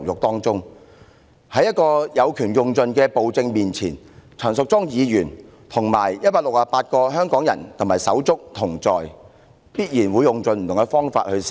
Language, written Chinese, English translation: Cantonese, 面對這個有權用盡的暴政，陳淑莊議員和168名香港人手足必定會一起堅持到底。, In the face of such a tyrannical government with uncontrolled power Ms Tanya CHAN as well as 168 brothers and sisters our Hong Kong people will definitely resist to the end